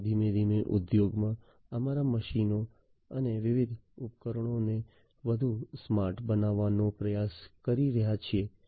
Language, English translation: Gujarati, Plus, we are gradually trying to make our machines and different devices in the industry smarter